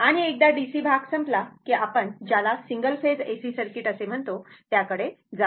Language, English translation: Marathi, And once DC part will be over, we will go for your what you call single phase AC circuit